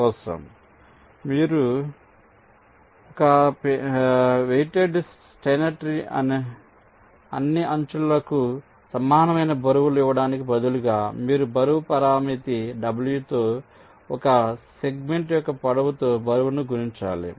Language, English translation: Telugu, a weighted steiner tree is means: instead of giving equal weights to all the edges, you multiply ah, the weight with a, the length of a segment, with a weight parameter w